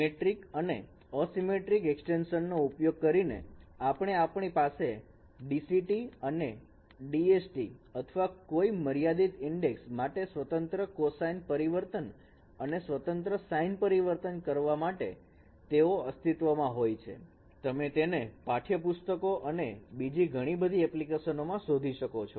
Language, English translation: Gujarati, So that is what using this symmetric anti symmetric extension we can have DCTs and DSTs or discrete cosine transforms and discrete sign transforms for any finite sequence and that is the reason why they do exist and you find them in the textbooks and in many applications